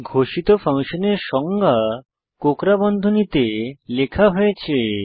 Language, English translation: Bengali, The definition of a declared function is written between curly braces